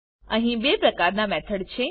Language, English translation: Gujarati, There are two types of methods